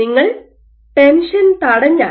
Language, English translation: Malayalam, So, if you inhibit the tension